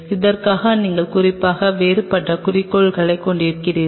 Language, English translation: Tamil, For that you have a specifically different objective